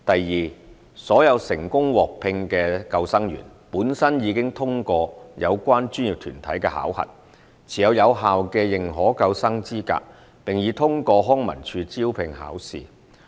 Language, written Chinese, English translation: Cantonese, 二所有成功獲聘的救生員，本身已通過有關專業團體的考核，持有有效的認可救生資格，並已通過康文署招聘考試。, 2 All employed lifeguards had passed the assessments administered by professional bodies concerned and possessed recognized lifesaving qualifications . They have also passed LCSDs recruitment examination